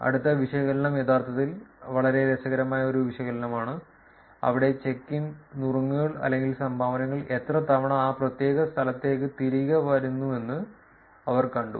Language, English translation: Malayalam, Next analysis is actually a very interesting analysis, where they saw how frequently that the check ins, the tips or the dones are coming back for that particular location